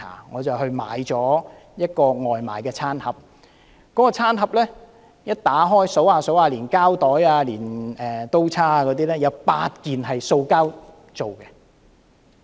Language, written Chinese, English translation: Cantonese, 我買了一個外賣餐盒，打開後我數一數，連膠袋及刀叉在內，共有8件是塑膠製品。, Having bought a takeaway meal I opened the package and counted the number of plastic products therein . Including the plastic bag and the cutlery there were altogether eight pieces of plastic products